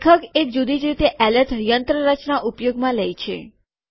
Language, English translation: Gujarati, He uses a different alert mechanism